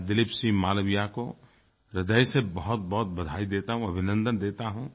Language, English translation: Hindi, My heartfelt congratulations to Dileep Singh Malviya for his earnest efforts